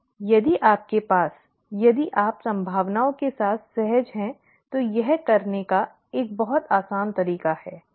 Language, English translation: Hindi, Whereas, if you have, if you are comfortable with probabilities, that is a much easier way to do, okay